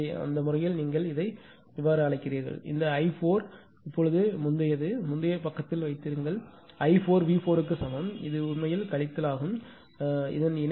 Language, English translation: Tamil, So, in that case your what you call ah this one ah this one i 4 ah previous for just hold on previous page; i 4 is equal to V 4 conjugate it is minus actually; it is minus right